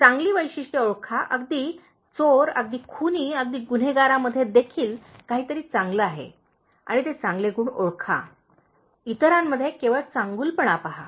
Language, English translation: Marathi, Identify the good traits, everybody even a thief, even a murderer, even a criminal has something good okay and identify those good qualities, see only the goodness in others